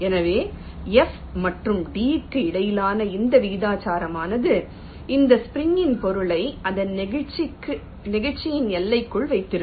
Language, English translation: Tamil, so this proportionality between f and d, this will hold for this spring material within limits of its elasticity